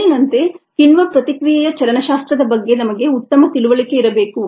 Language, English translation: Kannada, and, as before, we need to have ah good understanding of the kinetics of the enzyme reaction